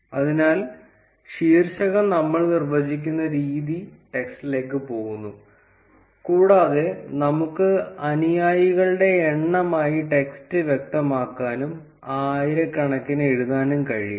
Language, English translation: Malayalam, So, the way we define the title is going into the text, and we can specify the text as number of followers and can probably write it in thousands